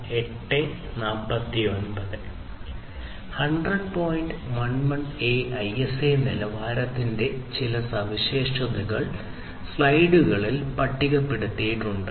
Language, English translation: Malayalam, 11a ISA standard are listed over here in front of you